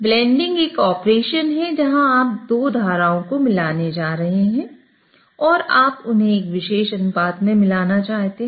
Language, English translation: Hindi, So, blending is an operation where you are going to mix two streams and you want to mix them in a particular ratio